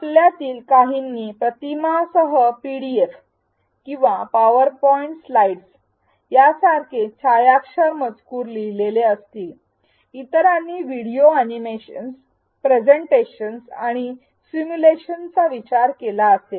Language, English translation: Marathi, Some of you may have written digitized text such as PDFs or PowerPoint slides with images, others may have thought of videos animations presentations and simulations